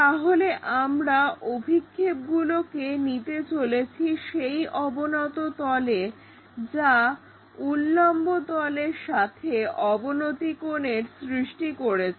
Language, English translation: Bengali, So, we are going to take projections onto that inclined plane that inclined plane making inclination angle with vertical plane